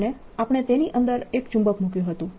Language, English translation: Gujarati, and we'll show you that by putting a magnet inside